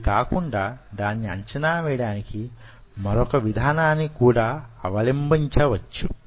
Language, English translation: Telugu, apart from it, there is another way you can evaluate